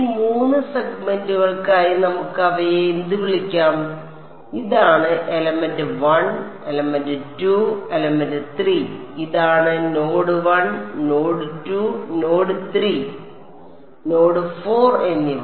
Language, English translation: Malayalam, For these 3 segments let us so what are what will call them is this is element 1, element 2, element 3 and this is node 1, node 2, node 3 and node 4 ok